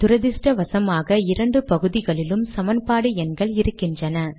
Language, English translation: Tamil, Unfortunately we have equation numbers in both parts